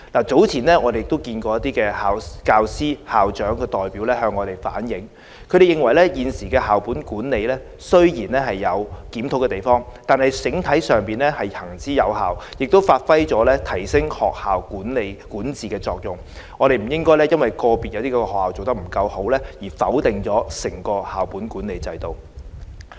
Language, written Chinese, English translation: Cantonese, 早前一些校長和教師代表向我們反映，他們認為現時的校本管理雖然有可以檢討的地方，但整體上行之有效，亦能發揮提升學校管治的作用，不應因為個別學校做得不夠好，而否定整個校本管理制度。, Some school principals and teacher representatives have previously reflected to us their views saying that although the current school - based management system may need a review it is effective as a whole and has performed the function of upgrading school governance . Therefore they do not think the unsatisfactory performance of individual schools should lead to an overall disapproval of the school - based management system